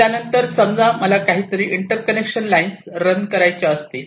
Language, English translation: Marathi, now suppose i want to run some inter connection lines